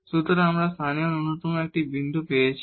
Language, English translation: Bengali, So, we got this point of local minimum